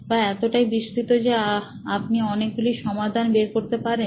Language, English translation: Bengali, Is it broad enough that you can get many solutions